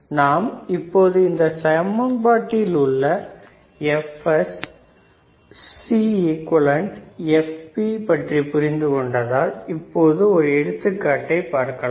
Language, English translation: Tamil, So, now, since since we kind of understand that what are the equation for f Fs, Cequivalent, Fp, let us try to solve a problem